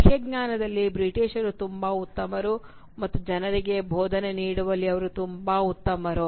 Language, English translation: Kannada, The English are very good in the outward knowledge, and they are very good at instructing people